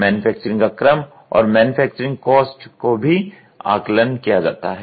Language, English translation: Hindi, Manufacturing sequence and manufacturing costs are also assessed